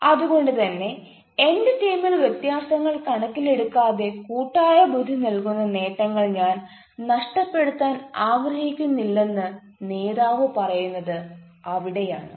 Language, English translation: Malayalam, so that is where he says that i do not want to miss the collective intelligence available in my team, irrespective of their differences